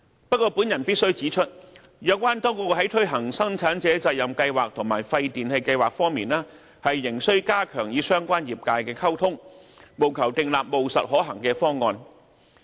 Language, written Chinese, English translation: Cantonese, 不過，我必須指出，有關當局在推行生產者責任計劃和廢電器計劃方面，仍須加強與相關業界的溝通，務求訂立務實可行的方案。, I must point out however it is imperative that the authorities enhance communications with relevant industries in respect of the implementation of PRS and WPRS in order to draw up practicable and viable options